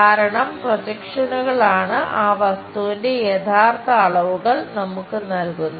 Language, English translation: Malayalam, Because projections are the ones which gives us true dimensions of that object